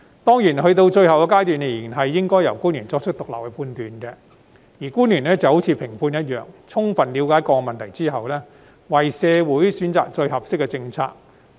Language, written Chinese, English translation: Cantonese, 當然，到了最後階段，仍然應該由官員作出獨立判斷，而官員就好像評判一樣，在充分了解各個問題後，為社會選擇最合適的政策。, Certainly at the final stage officials should be responsible for making independent judgments . Like judges after gaining a full understanding of different issues they are obliged to select the most appropriate policies for the community